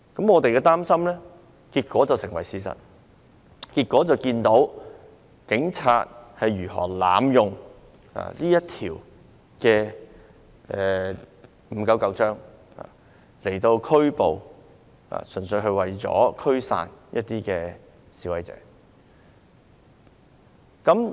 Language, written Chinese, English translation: Cantonese, 我們的擔心結果成為了事實，看到警方如何濫用《預防及控制疾病條例》，純粹是為了拘捕、驅散示威者。, Our worry has finally become a fact as we can see how the Police have abused the Prevention and Control of Disease Ordinance Cap . 599 purely for the sake of arresting and dispersing protesters